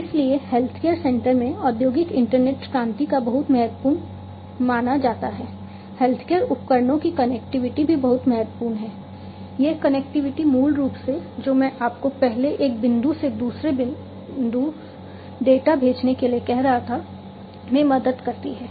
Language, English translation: Hindi, So, the industrial internet revolution in the healthcare center is considered to be very crucial, connectivity of healthcare devices is also very important this connectivity basically helps, in what I was telling you earlier to send the data from one point to another